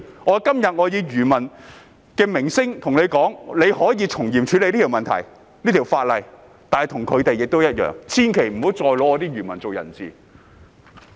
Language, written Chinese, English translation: Cantonese, 我今天以漁民的聲音對政府說，政府可以從嚴處理這項法例的問題，但千萬不要再以漁民作人質。, Today I am telling the Government on behalf of fishermen that it may handle this legislative issue strictly yet fishermen should not be taken hostage again